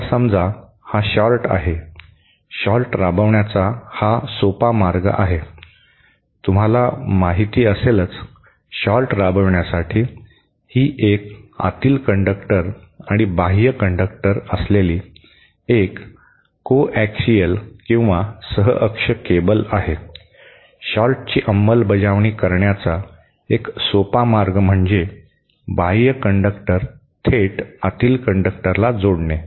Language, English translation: Marathi, Now suppose this is a short, simple way of implementing a short could be you know, to shot, this is a coaxial cable with an inner conductor and outer conductor, a simple way to implement the short would be to directly connect the inner conductor with the outer conductor